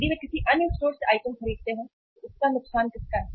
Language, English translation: Hindi, If they buy item at another store look whose loss it is